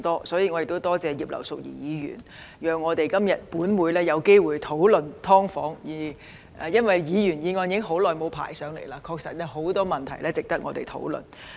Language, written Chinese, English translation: Cantonese, 所以，我亦感謝葉劉淑儀議員讓本會今天有機會討論"劏房"，因為已經很久沒有機會討論到議員議案了，確實是有很多問題值得我們討論的。, For this reason I am also grateful to Mrs Regina IP for giving the Council the opportunity to have a discussion about subdivided units today because we have not had the opportunity to discuss Members motions for a long time . Indeed there are many issues worthy of discussion by us